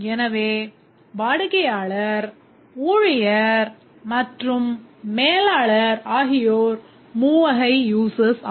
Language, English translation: Tamil, So, the customer, the staff and the manager are the three categories of users